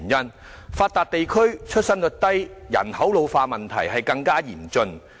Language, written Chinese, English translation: Cantonese, 我們屬發達地區，出生率低及人口老化的問題尤為嚴峻。, As a developed region Hong Kong faces particularly acute problems of a low fertility rate and population ageing